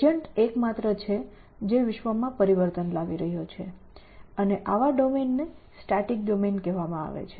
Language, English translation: Gujarati, Agent is the only one, which is making changes in the world and such a domain is called static